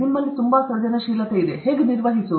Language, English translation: Kannada, Suppose, you have too much creativity how to manage